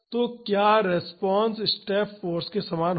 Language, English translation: Hindi, So, will the response be same as the step force